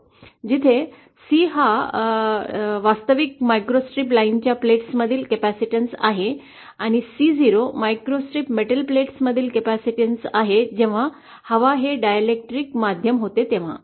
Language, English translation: Marathi, Where C is the measure, capacitance between the plates of the actual microstrip line and C 0 is the capacitance between the microstrip metal plates, had air been the dielectric medium